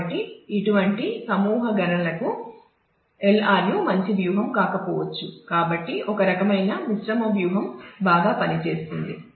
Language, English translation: Telugu, So, this is not LRU for such nested computations may not be a good strategy, so may be some kind of mixed strategy would work better